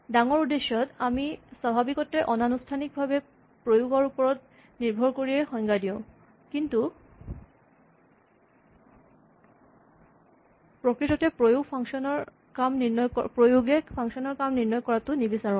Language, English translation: Assamese, Now large purposes we will normally define it more informally and we will make reference to the implementation, but we definitely do not want the implementation to determine how these functions work